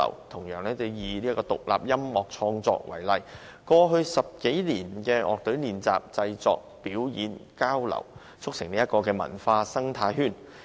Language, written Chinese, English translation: Cantonese, 同樣以獨立音樂創作為例，過去10多年的樂隊練習、製作、表演、交流，促成文化生態圈。, Once again I use independent music production as an example . Over the past decade or so the numerous music activities of band rehearsals production performances and exchanges in industrial districts have called into being a cultural ecosystem